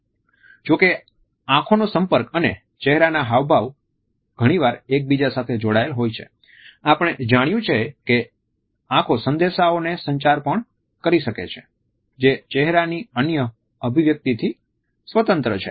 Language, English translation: Gujarati, Although eye contact and facial expressions are often linked together we have found that eyes can also communicate message which is independent of any other facial expression